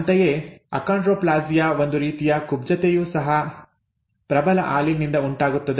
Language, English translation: Kannada, Similarly achondroplasia, a type of dwarfism, results from a dominant allele again